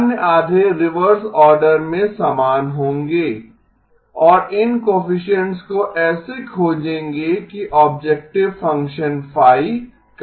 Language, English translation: Hindi, The other half will be the same in reverse order and find these coefficients such that the objective function phi is minimized